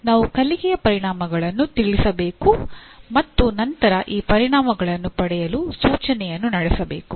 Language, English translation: Kannada, We have to state the learning outcomes and then conduct the instruction to attain these outcomes